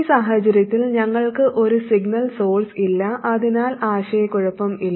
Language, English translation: Malayalam, In this case we don't have a signal source so there should be no confusion